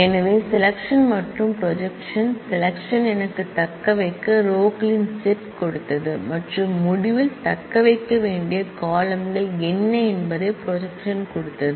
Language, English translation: Tamil, So, selection and projection, selection has given me the set of rows to retain and projection has given me what are the columns to retain in the result